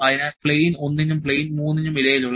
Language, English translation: Malayalam, So, the angle between plane 1 and plane 3 is 45 degree